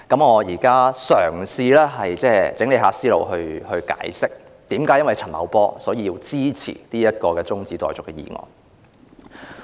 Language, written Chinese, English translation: Cantonese, 我現在嘗試整理思路，解釋為何因為陳茂波而支持這項中止待續議案。, I am now trying to sort out my thoughts and explain why I support the adjournment motion because of Paul CHAN